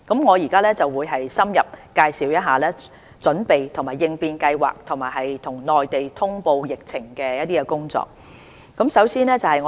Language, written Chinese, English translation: Cantonese, 我現在會深入介紹準備及應變計劃和與內地通報疫情的工作。, Now I am going to elaborate Governments preparedness and response plan and relevant work on liaison with the Mainland on the disease